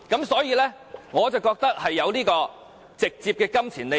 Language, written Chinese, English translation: Cantonese, 所以，我覺得他有直接金錢利益。, Therefore I believe there is a direct pecuniary interest involved